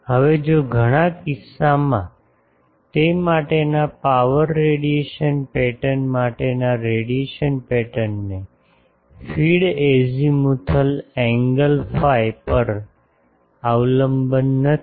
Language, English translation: Gujarati, Now, if in many cases, the feed that the radiation pattern for that power radiation pattern for that does not have a dependence on the azimuthal angle phi